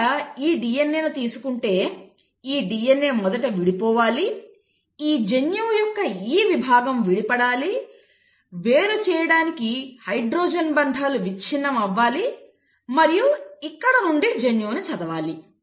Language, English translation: Telugu, So let us see, if you were to have this DNA, okay, this DNA has to first uncoil, this segment of the gene has to uncoil, the hydrogen bonds have to be broken to set apart and this is where the gene has to read